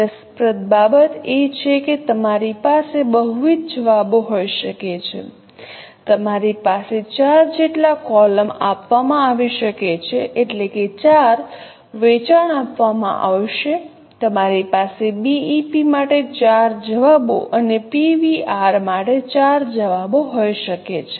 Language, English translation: Gujarati, You can have up to four columns are given, I mean four sales are given, you can have up to four answers for BP and four answers for PV